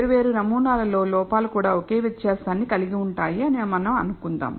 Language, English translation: Telugu, We also assume that the errors in different samples have the same variance